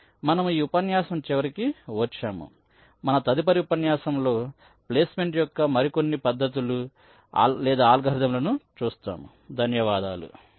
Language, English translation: Telugu, in our next lectures we shall be looking at some other techniques or algorithms for placement